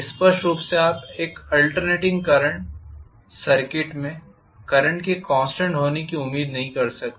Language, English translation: Hindi, Obviously in an alternating current circuit you cannot expect the current will be constant